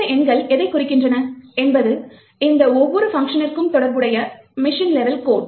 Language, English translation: Tamil, What these numbers actually represent are the machine level codes corresponding to each of these functions